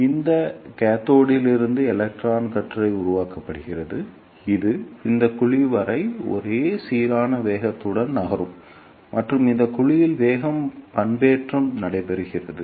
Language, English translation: Tamil, So, electron beam is generated from this cathode which moves with a uniform velocity till this cavity and in this cavity the velocity modulation takes place